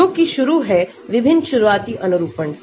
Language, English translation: Hindi, That is starting with various starting conformation